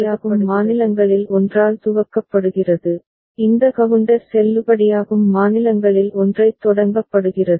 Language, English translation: Tamil, So, it is initialized with one of the valid states, this counter is initialised with one of the valid states